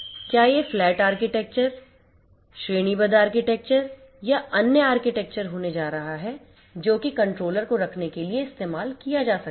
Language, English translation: Hindi, Whether it is going to be flat architecture, hierarchical architecture or other architectures that might be used to place the controller